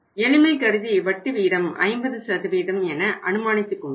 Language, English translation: Tamil, For the sake of simplicity we have assumed the tax rate as 50% right